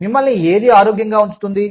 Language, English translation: Telugu, What keeps you healthy